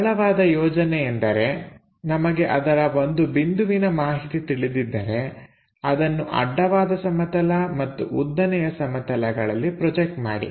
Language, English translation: Kannada, The simple strategy is; if we know one of the point project that onto horizontal point horizontal plane and vertical plane